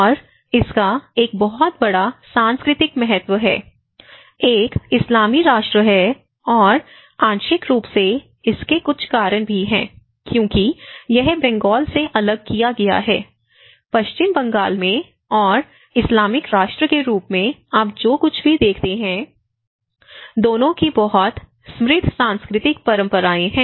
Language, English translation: Hindi, And it has a very rich cultural importance, one is being an Islamic nation and also partly it has some because it has been splitted from the Bengal; the larger part of the Bengal so, it has a very rich cultural traditions of both what you see in the West Bengal and at the same time as the Islamic as a nation